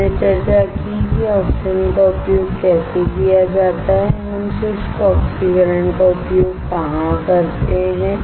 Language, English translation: Hindi, We discussed how oxidation can be used and where we use dry oxidation